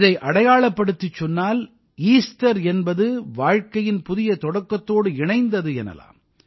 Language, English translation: Tamil, Symbolically, Easter is associated with the new beginning of life